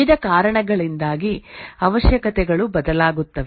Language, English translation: Kannada, Requirements change due to various reasons